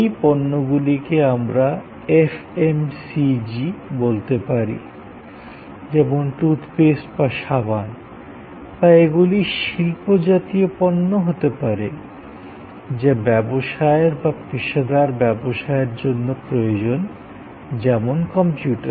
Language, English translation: Bengali, These products could be what we call FMCG, Fast Moving Consumer Goods like toothpaste or soap, they could be industrial products or they could be products required for businesses or for professional use like a computer and so on